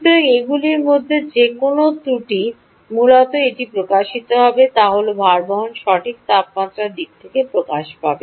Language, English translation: Bengali, so any of these defects, essentially what it will manifest itself will be that the bearing will manifest in terms of higher temperature, right